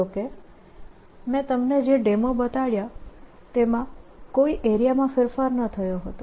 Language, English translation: Gujarati, however, the demonstration i showed you was those where no change of area took place